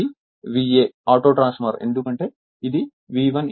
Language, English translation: Telugu, This is V A auto right because it is V 1 I 1 is equal to V 2 I two